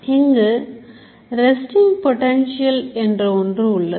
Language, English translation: Tamil, So, there is something called resting potential